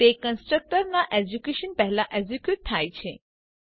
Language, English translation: Gujarati, It executes before the constructors execution